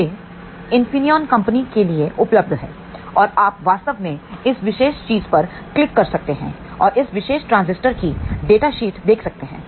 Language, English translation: Hindi, It is available for Infineon Company and you can actually click on this particular thing and see the data sheet of this particular transistor